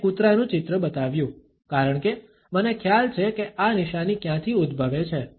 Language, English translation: Gujarati, I showed a picture of the dog, because there is in my opinion where this sign originates from